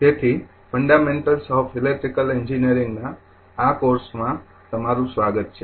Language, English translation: Gujarati, So, welcome to this course that Fundamentals of Electrical Engineering